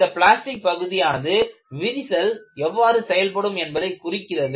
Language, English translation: Tamil, And, that plastic zone dictates how the crack is going to behave